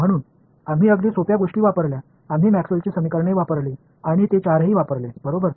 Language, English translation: Marathi, So, we used very simple things, we use Maxwell’s equations and all four of them were used right